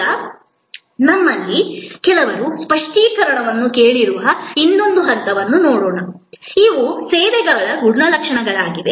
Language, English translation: Kannada, Now, let me look at the other point on which some of you have ask for clarification, these are characterization of services